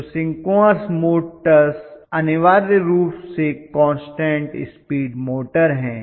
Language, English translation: Hindi, So synchronous motors are essentially constant speed motors